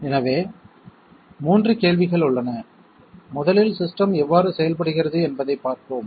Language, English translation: Tamil, So there are 3 questions, 1st of all let us see how the system works